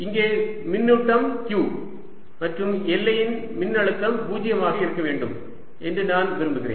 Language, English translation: Tamil, here is the charge q, and i want potential of the boundary to be zero